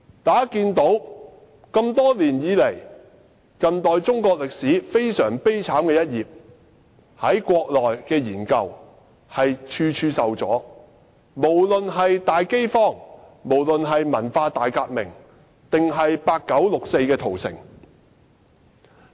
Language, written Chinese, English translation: Cantonese, 大家都知道，多年來，有關近代中國歷史悲慘一頁的研究，在國內處處受阻，不管是大飢荒、文化大革命，抑或是八九六四屠城亦然。, As Members may be aware throughout the years the study of the miserable incidents of contemporary Chinese history be it the Great Famine the Cultural Revolution or the 4 June massacre in 1989 have encountered numerous obstacles in the country